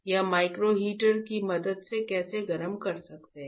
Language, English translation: Hindi, How can we heat with the help of a micro heater